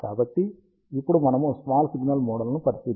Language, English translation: Telugu, So, now we are considering the small signal models